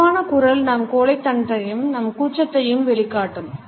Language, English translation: Tamil, A slow voice can show our timidity our diffidence